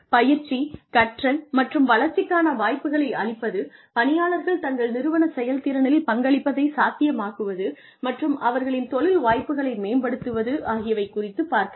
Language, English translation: Tamil, To provide training, learning, and development opportunities, to enable employees to contribute to the performance of their organization and to enhance their career opportunities